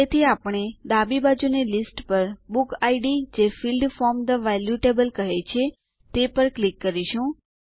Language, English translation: Gujarati, So we will click on book id on the left side list that says Field from the value table